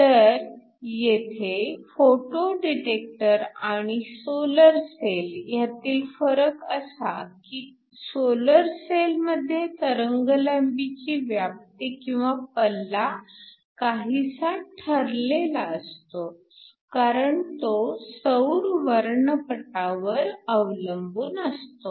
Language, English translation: Marathi, So, The difference between a photo detector here and in the case of a solar cell is that in a solar cell the wavelength range is sort of fixed because it depends upon the solar spectrum that has a specific wavelength range